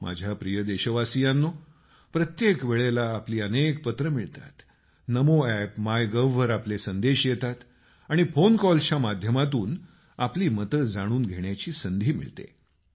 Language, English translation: Marathi, every time, lots of your letters are received; one gets to know about your thoughts through your messages on Namo App and MyGov and phone calls